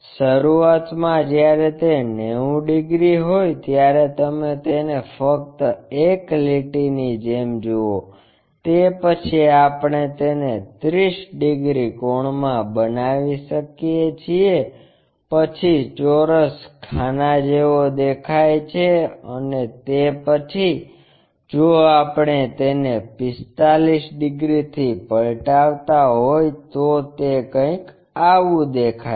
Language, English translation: Gujarati, Initially, when it is 90 degrees you just see it likeonly a line after that we can make it into a 30 degree angle then the square looks like this and after that if we are flipping it by 45 degrees it looks in that way